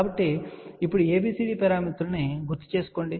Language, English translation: Telugu, So, now, recall ABCD parameters